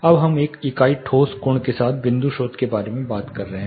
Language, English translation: Hindi, Now we are talking about the point source with a unit solid angle